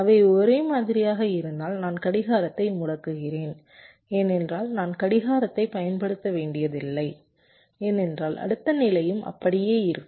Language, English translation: Tamil, if they are same, i am disabling the clock because i need not apply the clock, because the next state will also be the same